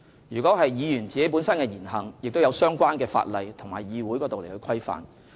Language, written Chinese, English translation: Cantonese, 議員本身的言行，亦受相關的法例和《議事規則》規範。, The words and deeds of Members are also regulated by the relevant laws and the Rules of Procedure